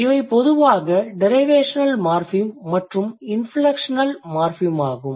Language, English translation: Tamil, So, this one is generally a derivational morphem and this one is generally an inflectional morphem